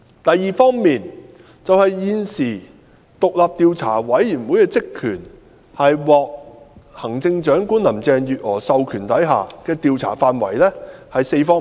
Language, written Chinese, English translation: Cantonese, 第二，現時獨立調查委員會的職權範圍，即獲行政長官林鄭月娥授權的調查範圍有4方面。, Second the existing terms of reference of the Commission that is the terms of reference authorized by Chief Executive Carrie LAM cover four aspects